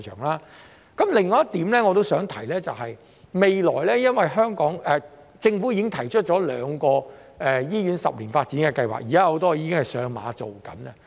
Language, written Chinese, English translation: Cantonese, 另外，我也想提及的是，政府已提出兩項十年醫院發展計劃，現時很多項目已上馬並進行中。, Besides I would also like to mention that the Government has rolled out two 10 - year Hospital Development Plans and many projects are underway